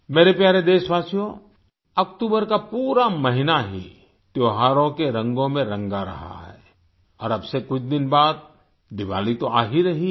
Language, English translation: Hindi, the whole month of October is painted in the hues of festivals and after a few days from now Diwali will be around the corner